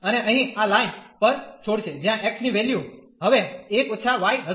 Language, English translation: Gujarati, And leaves here at this line, where the value of x will be now 1 1 minus y